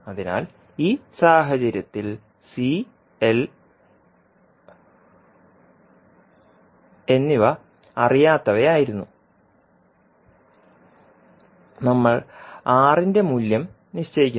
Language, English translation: Malayalam, So in this case the unknowns were C and L and we fix the value of R